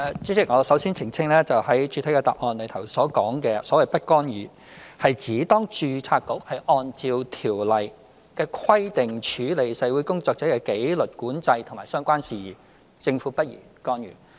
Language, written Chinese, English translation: Cantonese, 主席，我首先澄清，在主體答覆所說的"不干預"，是指當註冊局按照《條例》的規定處理社會工作者的紀律管制及相關事宜，政府不宜干預。, President first I have to clarify that the remark in the main reply about non - intervention refers to that fact that it is not appropriate for the Government to intervene when the Board is handling disciplinary control of social workers and related matters in accordance with the Ordinance